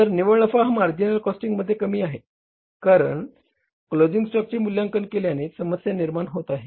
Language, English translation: Marathi, So net profit is lesser under the marginal costing because valuation of the closing stock creates a problem